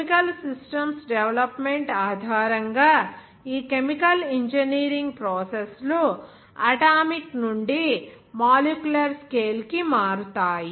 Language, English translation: Telugu, Where this chemical engineering processes based on the development of the chemical systems based on that converting from the atomic to the molecular scale